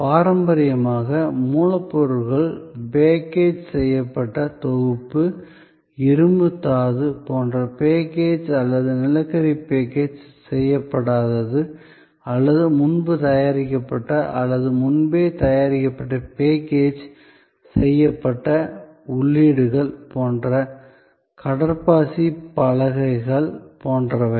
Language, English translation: Tamil, Traditionally, raw materials, whether package unpackaged, like iron ore as unpackaged or coal as unpackaged or pre prepared or preprocessed packaged inputs like say a sponge pallets, etc